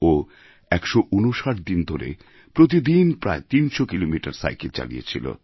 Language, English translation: Bengali, She rode for 159 days, covering around 300 kilometres every day